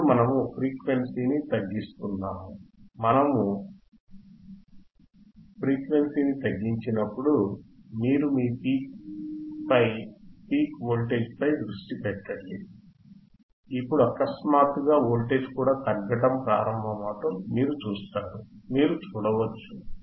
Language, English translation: Telugu, Now we are decreasing the frequency we are decreasing the frequency and you see that when we decrease the frequency, you concentrate on your peak to peak voltage alright decrease it further, decrease it further, decrease, it further and you see now suddenly you can see that the voltage is also started decreasing